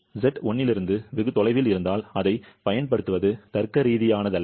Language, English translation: Tamil, But if Z is far away from 1, it is not logical to use that